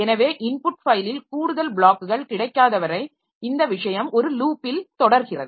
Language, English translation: Tamil, So this thing goes on in a loop till there are no more blocks available on the input file